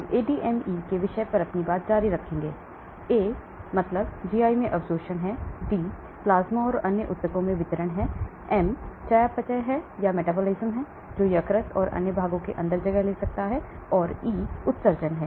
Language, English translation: Hindi, We will continue on the topic of ADME, A is the absorption in the GI, D is the distribution in the plasma and other tissues, M is the metabolism that may be taking place in liver and other parts inside, and E is the excretion